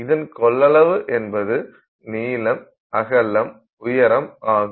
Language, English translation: Tamil, So, the volume equals length into height into width